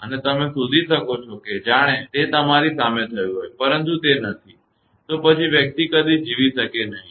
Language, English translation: Gujarati, And you can find that as if it has happened in front of you, but it is not; then person will never survive